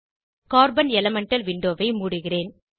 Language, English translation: Tamil, I will close the Carbon elemental window